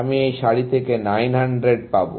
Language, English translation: Bengali, I will get 900 from this row